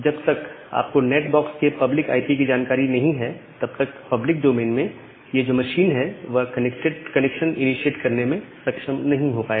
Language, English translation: Hindi, So, unless you have a information of the public IP of the NAT box, this machine in the public domain will not be able to initiate a connection